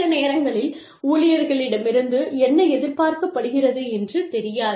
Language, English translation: Tamil, Sometimes, employees do not know, what is expected of them